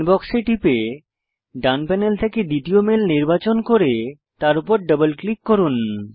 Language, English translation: Bengali, Click on Inbox and from the right panel, select the second mail and double click on it